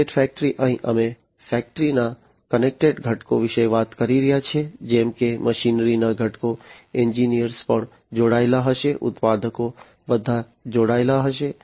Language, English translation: Gujarati, Connected factory, here we are talking about connected components of the factory such as the machinery components, engineers will also be connected manufacturers will all be connected